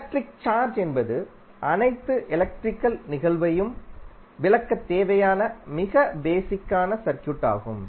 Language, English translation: Tamil, So, electric charge is most basic quantity of circuit required to explain all electrical phenomena